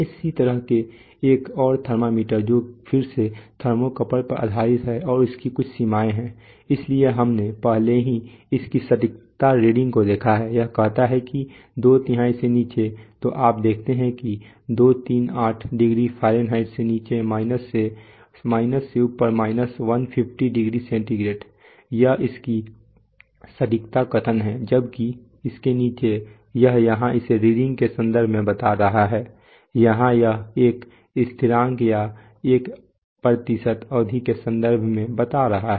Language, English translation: Hindi, Similarly another thermometer, that another temperatures thermometer, again based on thermocouple, again it has some ranges, so we have already seen it look at its accuracy reading, it says that below two thirds, so you see that below 238 degree Fahrenheit, above minus 150 degree centigrade this is its accuracy statement, while below that, this is this statement so here it is stating it in terms of reading here it is stating in terms of a constant or a percent of span